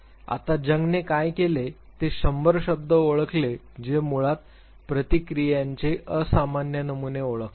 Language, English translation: Marathi, Now what Jung did was he identified hundred words which basically identify abnormal patterns of responses